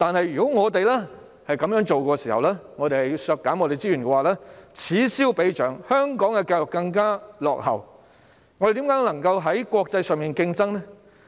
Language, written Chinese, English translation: Cantonese, 如果我們這樣削減資源，此消彼長，香港的教育便會更形落後，我們如何能夠在國際間競爭呢？, If we cut the resources in this way going backwards while others are moving forward Hong Kongs education will fall further behind . How can we compete in the international arena?